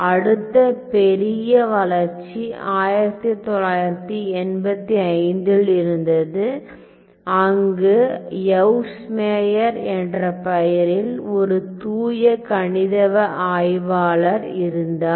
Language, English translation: Tamil, So, then the next major development was in 85, where a pure mathematician by the names name of Yves Meyer